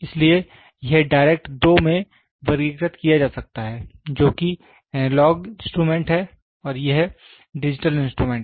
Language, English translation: Hindi, So, this direct can be classified into two which is analog instrument and this is digital instruments